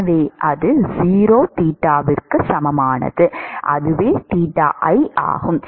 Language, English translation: Tamil, So, that is a equal to 0 theta is theta i